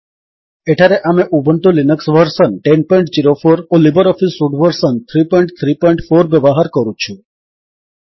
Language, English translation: Odia, Here we are using Ubuntu Linux version 10.04 and LibreOffice Suite version 3.3.4